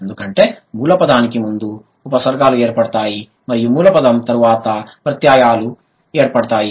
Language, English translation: Telugu, Because the prefixes occur before the root word and the suffixes occur after the root word